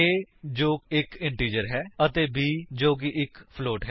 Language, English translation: Punjabi, a which is an integer and b which is a float